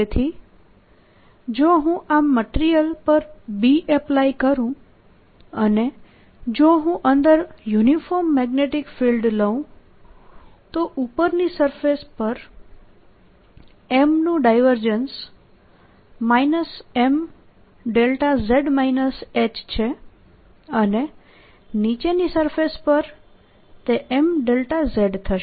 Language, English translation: Gujarati, so if i look at this material i had applied b, and if i take this uniform magnetic field inside, then the divergence of m at the upper surface is minus m delta z, minus h